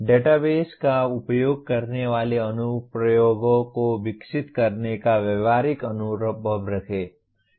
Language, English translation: Hindi, Have practical experience of developing applications that utilize databases